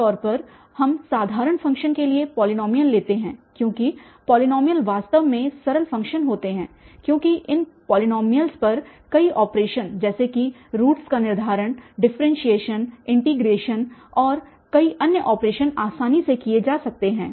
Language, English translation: Hindi, The second one that replacing the complicated functions were by an interpolation simple functions usually the simple functions we take polynomials because polynomials are really simple function because many operations on these polynomials such as the determination of roots, differentiation, integration, and many other operations can be performed easily